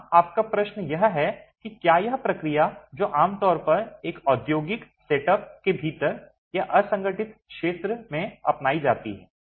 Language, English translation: Hindi, Yes, your question is whether this is the process that is typically adopted within an industrial setup or in the unorganized sector